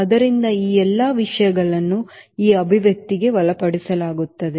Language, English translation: Kannada, so all these things will be covered into this expression